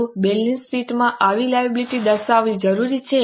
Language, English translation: Gujarati, Is it necessary to show such a liability in the balance sheet